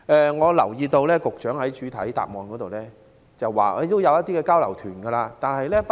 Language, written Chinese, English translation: Cantonese, 我留意到局長在主體答覆中表示，會安排一些交流團。, I note that the Secretary has mentioned in the main reply that exchange programmes will be arranged for UGs